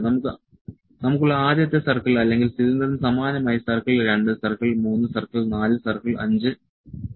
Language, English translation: Malayalam, The first circle or the cylinder we that we have similarly the circle 2, circle 3, circle 4, ok, circle 5 the dimension for that